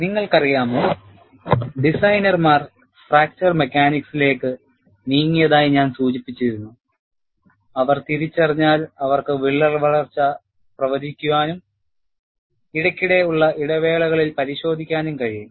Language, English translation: Malayalam, You know, I had mentioned that, designers took to fracture mechanics, once they realized, they could predict crack growth and also inspect, at periodic intervals